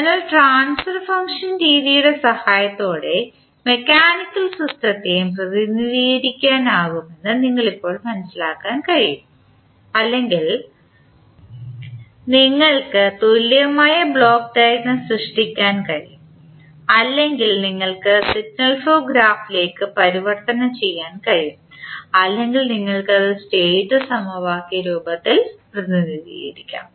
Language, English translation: Malayalam, So, you can now understand that the mechanical system can also be represented with the help of either the transfer function method or you can create the equivalent the block diagram or you can convert into signal flow graph or you can represent it in the form of State equation